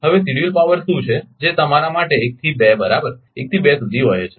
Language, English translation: Gujarati, Now, now what is the scheduled power flowing your for from 1 to 2 right from 1 to 2